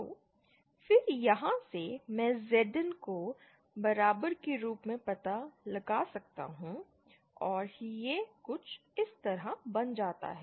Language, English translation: Hindi, So, then from here, I can find out Zin as equal to and this comes out to be